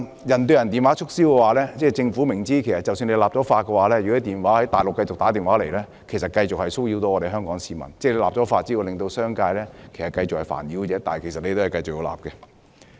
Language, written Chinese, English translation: Cantonese, "人對人"電話促銷方面，政府明知即使立法禁止，若電話從內地打出，香港市民仍會繼續受騷擾，立法只會煩擾商界，但政府仍堅持立法。, Insofar as person - to - person telemarketing calls are concerned the Administration insisted on regulation by way of legislation even though it is well aware that legislation on this will only bother the business sector as calls from the Mainland may continue to disturb Hong Kong people